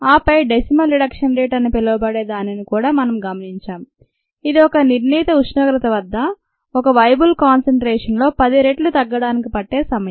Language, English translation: Telugu, so this is what we arrived at, and then we also looked at something called a decimal reduction rate, which is the time that is required for a ten fold decrease in viable cell concentration at a given temperature